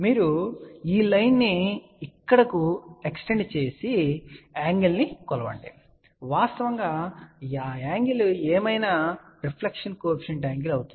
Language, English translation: Telugu, You simply extend this line over here and measure this angle, whatever is that angle will be the actually reflection coefficient angle